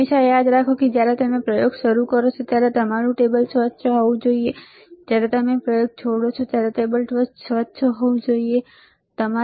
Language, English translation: Gujarati, Always remember, when you start the experiment, your table should be clean; when you leave the experiment your table should be clean, right